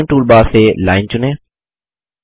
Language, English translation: Hindi, From the Drawing tool bar, select Line